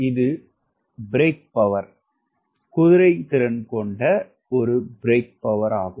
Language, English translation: Tamil, this is the brake which will have a power brake horsepower